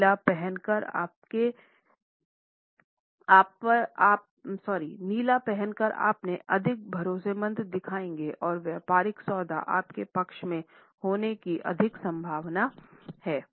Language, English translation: Hindi, By wearing blue you have seen more trustworthy and the business deal is more likely to turn out in your favor